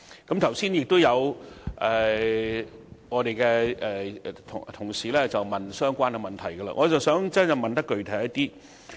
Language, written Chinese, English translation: Cantonese, 剛才有同事問及相關的問題，我想提出更具體的問題。, Some colleagues have asked similar questions and I would like to raise a more specific question